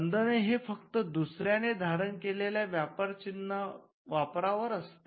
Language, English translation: Marathi, The restriction is only in confined to using marks that are owned by others